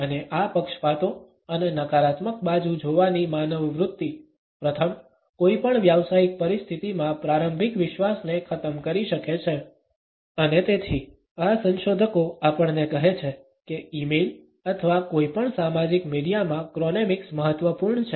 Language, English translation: Gujarati, And these biases and the human tendency to look at the negative side, first, can erode the initial trust in any professional situation and therefore, these researchers tell us that chronemics in e mail or in any social media is important